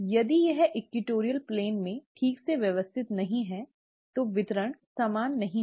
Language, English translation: Hindi, If it is not properly arranged in the equatorial plane, the distribution is not going to be equal